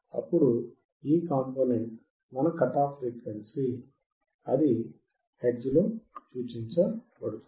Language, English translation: Telugu, Then this component fc is your cut off frequency in hertz